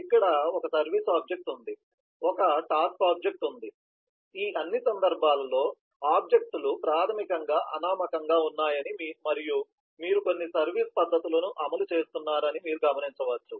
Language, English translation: Telugu, here there is a service object, there is a task object, you can note that in all these cases, the objects are basically anonymous and you are executing some method of service